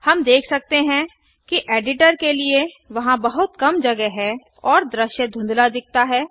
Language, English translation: Hindi, Java We can see that there is very little space for the editor and the view looks blurred